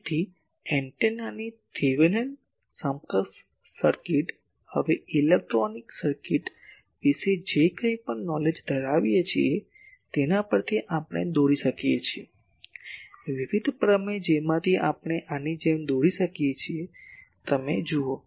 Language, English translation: Gujarati, So, Thevenin’s equivalent circuit of this antenna, we can draw from our whatever knowledge we have about electronic circuits, various theorems from that we can draw like this, you see